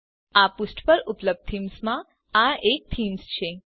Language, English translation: Gujarati, This is one of many themes available on this page